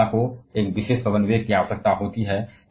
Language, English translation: Hindi, Wind energy requires a particular wind velocity